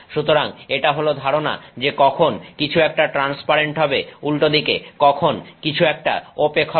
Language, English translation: Bengali, So, this is this idea of when something is transparent versus when something is okay